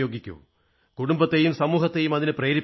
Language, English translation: Malayalam, Inspire the society and your family to do so